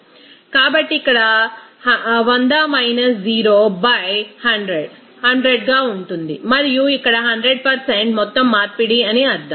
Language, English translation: Telugu, So here 100 – 0 by 100 that will be into 100 and that means here to be 100% overall conversion